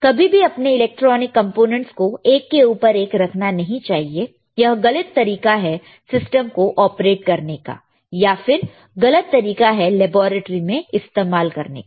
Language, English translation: Hindi, Never place your electronic components one over each other; this is a wrong way of operating the system, wrong way of using in the laboratory, right